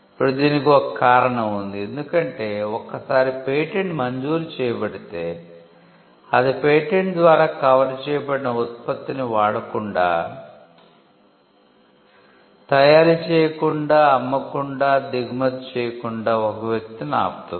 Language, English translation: Telugu, Now, there is a reason for this because, if a patent is granted, it stops a person from using manufacturing, selling, importing the product that is covered by the patent